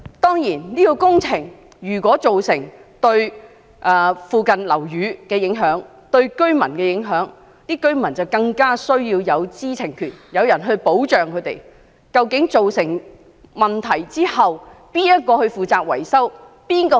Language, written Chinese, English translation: Cantonese, 當然，如果有關工程對附近樓宇和居民造成影響，居民便更應有知情權，獲提供保障，讓他們知道當出現問題時，誰會負責維修？, Certainly if such construction works have affected the buildings and residents nearby there is an even stronger reason to ensure the residents right to know and protection for them so that they will know when problems arise who will be responsible for the repairs and maintenance?